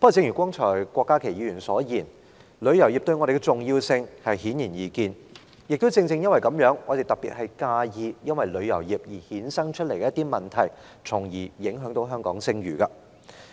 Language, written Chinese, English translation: Cantonese, 不過，正如郭家麒議員剛才所說，正因旅遊業的重要性顯而易見，我們尤其擔憂旅遊業衍生一些問題，因而影響香港的聲譽。, However as suggested by Dr KWOK Ka - ki a while ago it is precisely because of the importance of the travel industry that we are particularly worried about the problems arisen from the industry that affect the reputation of Hong Kong